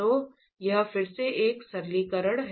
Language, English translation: Hindi, So, this is again a simplification